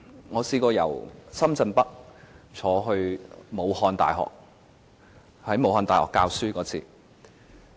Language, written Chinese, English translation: Cantonese, 我曾經由深圳北乘坐高鐵前往武漢大學，到那裏授課。, I also have the experience of taking the high - speed rail from Shenzhen North to Wuhan University for a teaching duty there